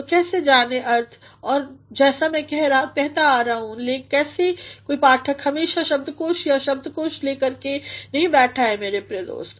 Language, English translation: Hindi, So, how to know the meaning and as I have been saying that no reader always sits with a dictionary or a thesaurus, my dear friend